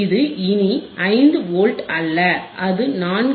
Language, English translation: Tamil, It is not 5 Volts anymore, it is 4